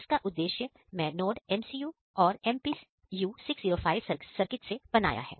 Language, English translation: Hindi, So, for this purpose I am using the NodeMCU and node MPU 6050 circuit